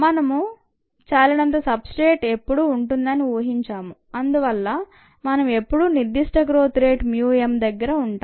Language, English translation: Telugu, we kind of assumed that we are always had enough substrate so that, ah, we were always at mu m for the specific growth rate